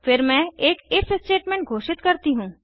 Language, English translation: Hindi, Then I declare an if statement